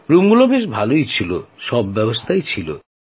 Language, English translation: Bengali, The rooms were good; had everything